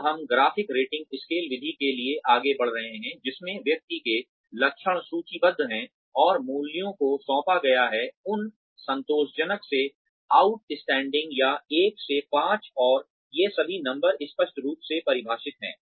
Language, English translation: Hindi, Now, we are moving on to, the graphic rating scale method, in which, the traits of the person are listed, and values are assigned, from un satisfactory to out standing, or, 1 to 5